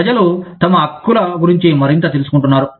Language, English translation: Telugu, People are becoming, much more aware of their rights